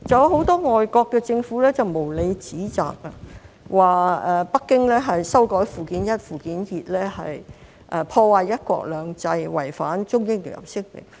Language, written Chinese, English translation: Cantonese, 很多外國政府無理指責，說北京修改附件一、附件二是破壞"一國兩制"，違反《中英聯合聲明》。, Many foreign governments have unreasonably accused Beijing of undermining one country two systems and violating the Sino - British Joint Declaration by amending Annexes I and II